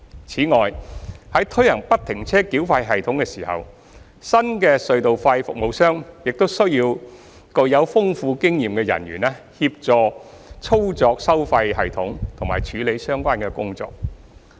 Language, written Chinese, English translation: Cantonese, 此外，在推行不停車繳費系統時，新的隧道費服務商亦需要具豐富經驗的人員協助操作收費系統及處理相關工作。, In addition at the implementation of FFTS the new toll service provider will also require experienced personnel to assist in operating the tolling system and handling relevant tasks